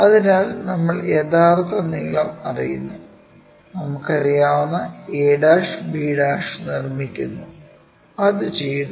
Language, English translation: Malayalam, Once, we know the true length constructing that a' b' we know, that is done